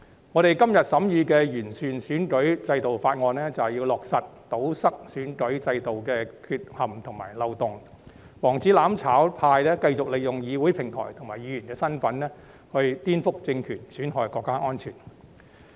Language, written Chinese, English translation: Cantonese, 我們今天審議的《2021年完善選舉制度條例草案》，便是要堵塞選舉制度的缺陷和漏洞，防止"攬炒派"繼續利用議會平台和議員身份顛覆政權、損害國家安全。, The Improving Electoral System Bill 2021 under scrutiny today precisely seeks to plug the flaws and loopholes in the electoral system so as to prevent the mutual destruction camp from continuously using the Council as a platform and their capacities as Members to subvert state power and undermine national security